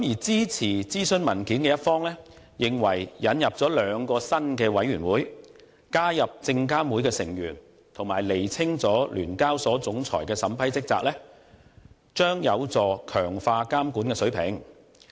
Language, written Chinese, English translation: Cantonese, 支持諮詢文件的一方認為，引入兩個新委員會並加入證監會的成員，以及釐清聯交所總裁的審批職責，將有助強化監管水平。, Supporters of the consultation paper think that the setting up of two new committees the inclusion of SFCs representatives and also the clarification of the vetting and approval duty of SEHKs Chief Executive can help to raise the regulatory standard